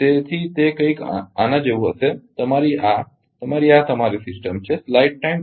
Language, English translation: Gujarati, So, it will be ah ah something like this that this is your this is your system